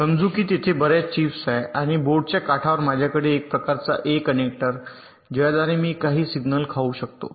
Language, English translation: Marathi, lets say there are several chips and on the edge of the board i have some kind of a connector through which i can feed some signals